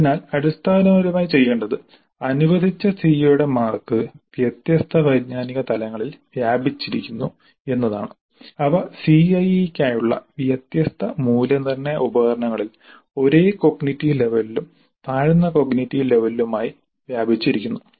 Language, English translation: Malayalam, So basically what needs to be done is that the marks for the CO which have been allocated are spread over different cognitive levels the same cognitive level and lower cognitive levels and they are spread over different cognitive levels, the same cognitive level and lower cognitive levels and they are spread over different assessment instruments for the CIE